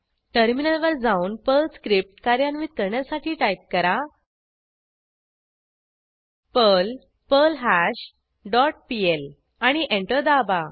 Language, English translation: Marathi, Then switch to terminal and execute the Perl script as perl perlHash dot pl and press Enter